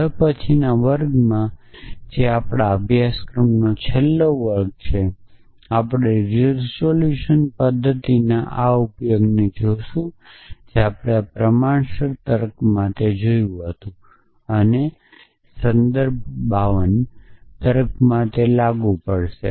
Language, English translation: Gujarati, So, in the next class which is the last class of our course, we will look at this use of resolution method which we saw for proportional logic and apply to in ((Refer Time